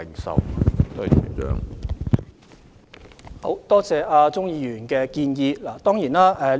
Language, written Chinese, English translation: Cantonese, 主席，感謝鍾議員的建議。, President I thank Mr CHUNG for his suggestion